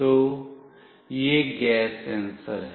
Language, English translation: Hindi, So, this is the gas sensor